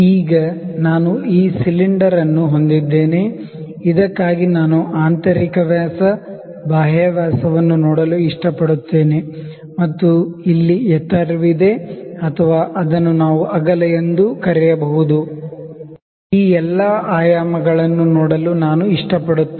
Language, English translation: Kannada, So, now I have this cylinder, for which I like to see the internal dia, the external dia and also we have the height or what we can call it width, I like to see this dimensions